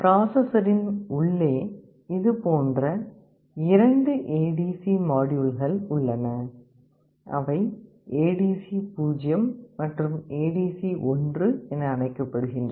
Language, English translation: Tamil, Inside the processor there are two such ADC modules, they are called ADC0 and ADC1